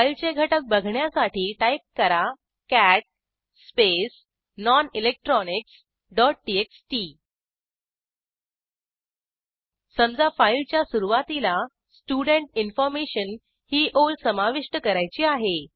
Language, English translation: Marathi, To see the contents, type: cat space nonelectronics.txt Say, at the start of the file we want to add a line Student Information